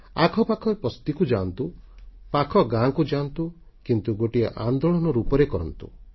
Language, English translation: Odia, Go to settlements in your neighborhood, go to nearby villages, but do this in the form of a movement